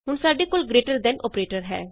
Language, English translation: Punjabi, Now we have the greater than operator